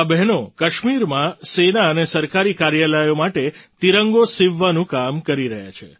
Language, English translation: Gujarati, In Kashmir, these sisters are working to make the Tricolour for the Army and government offices